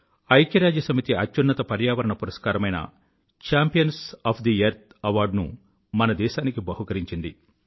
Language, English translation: Telugu, The highest United Nations Environment Award 'Champions of the Earth' was conferred upon India